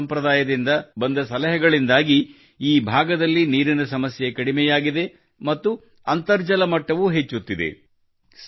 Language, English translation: Kannada, Due to the suggestions received from the Halma tradition, the water crisis in this area has reduced and the ground water level is also increasing